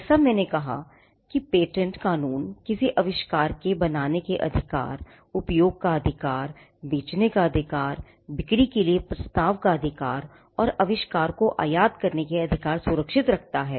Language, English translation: Hindi, As I said in the case of an invention, patent law, protects the right to make the right to use, the right to sell, the right to offer for sale, and the right to import the invention